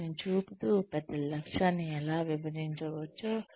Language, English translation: Telugu, Showing them, how the larger goal can be broken up